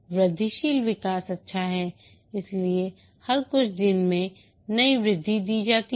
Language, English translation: Hindi, Incremental development is good, therefore every few days new increments are developed and delivered